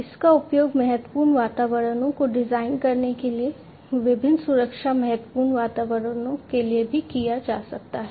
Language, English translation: Hindi, It also can be used for different safety critical environments for designing different safety critical environments